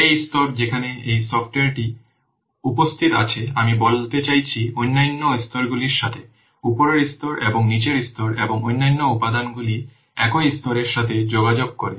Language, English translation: Bengali, This layer where this software is present, this communicates with other layers, I mean upper layers and below layers and also other components are the same level